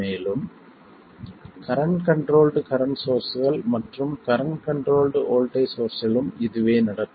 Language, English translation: Tamil, And this is why we can't realize the current sources, either the current controlled current source or the voltage controlled current source